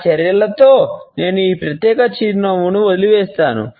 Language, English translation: Telugu, In my discussions, I would leave this particular type of a smile